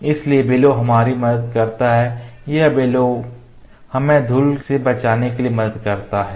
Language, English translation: Hindi, So, bellow helps us this bellow this bellow helps us to save it from the dust to keep it secure from dust